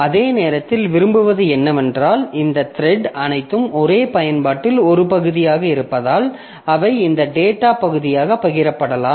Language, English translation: Tamil, At the same time what we want is that since these threads are all part of the same application, so they are this data part can be shared